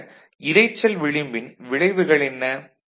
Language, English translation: Tamil, So, what is the effect of noise margin ok